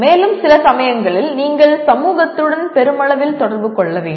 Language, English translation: Tamil, And also sometime you have to communicate with society at large